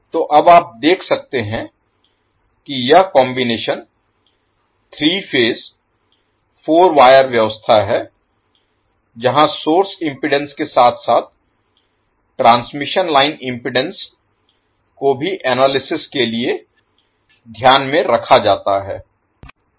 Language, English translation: Hindi, So now you can see this particular combination is three phase four wire arrangement were the source impedance as well as the transmission line impedance is considered for the analysis